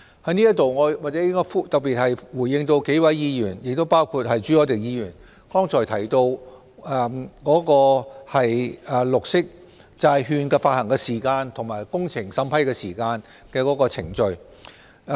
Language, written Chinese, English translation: Cantonese, 在此，我先回應幾位議員，包括朱凱廸議員剛才提到綠色債券發行的時間，以及工程審批的時間和有關程序。, Here I would like to respond to Members comments first including Mr CHU Hoi - dicks comments made just now on the timing of bond issuance as well as the timing and relevant procedures regarding the vetting and approval of works